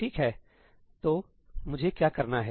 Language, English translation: Hindi, Right, so, what do I want to do